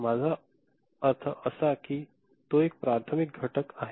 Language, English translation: Marathi, I mean it is a primary factor